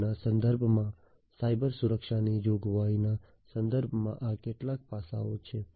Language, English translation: Gujarati, So, in the context of IIoT these are some of the challenges with respect to provisioning Cybersecurity